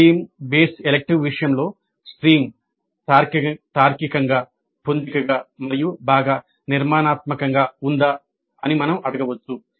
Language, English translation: Telugu, In the case of stream based electives we can ask whether the stream is logically coherent and well structured